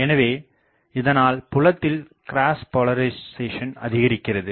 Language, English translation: Tamil, So, sizable cross polarisation also takes place